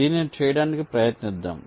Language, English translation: Telugu, lets try to work out this